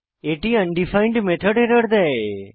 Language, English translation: Bengali, It will give an undefined method error